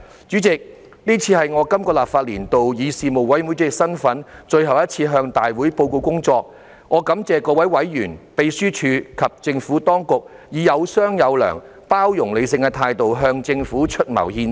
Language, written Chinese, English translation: Cantonese, 主席，這是我在這個立法年度以事務委員會主席身份，最後一次向大會報告工作，我感謝各位委員、秘書處及政府當局以有商有量、包容理性的態度向政府出謀獻策。, President this is my last time in this legislative session to report the work of the Panel in my capacity as Panel Chairman to this Council . I thank all Panel members the Secretariat and the Administration for having provided views and strategies to the Government in a communicating accommodating and sensible manner